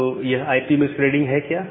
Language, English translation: Hindi, So, what is IP masquerading